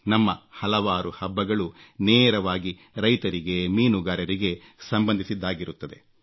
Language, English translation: Kannada, Many of our festivals are linked straightaway with farmers and fishermen